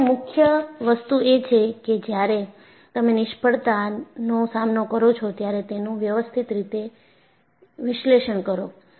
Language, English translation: Gujarati, So, the key is, when you face failures, analyze it systematically